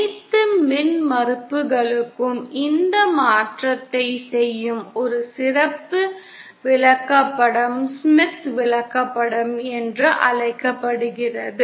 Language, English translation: Tamil, A special chart which does this transformation for all impedances is what is known as a Smith chart